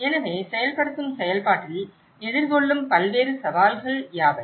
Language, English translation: Tamil, So, what are the various challenges that is faced in the implementation process